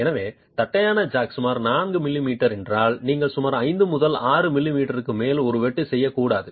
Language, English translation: Tamil, So, if the flat jack is about 4 millimetres, you should not make a cut which is more than about 5 to 6 millimetres